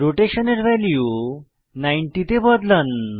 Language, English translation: Bengali, Let us increase the Rotation value to 90